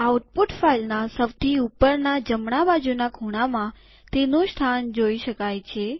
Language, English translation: Gujarati, It appears in the top left hand corner of the output